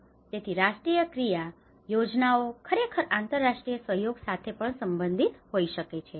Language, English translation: Gujarati, So how the national action plans can actually relate with the international cooperation as well